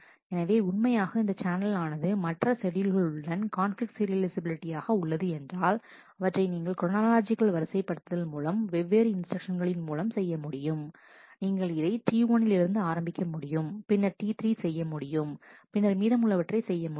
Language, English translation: Tamil, It is also actually this channel is conflict serializable to several other schedule because you can do this topological sorting in various different manners, you could have started with T 1 and then do T 3 and then do the rest